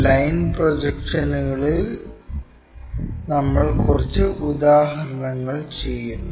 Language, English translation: Malayalam, And we are working out few examples on line projections